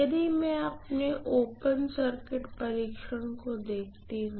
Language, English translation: Hindi, If I look at the open circuit test